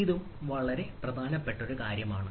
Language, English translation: Malayalam, so this also is important thing